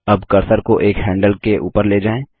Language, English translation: Hindi, Now move the cursor over one of the handles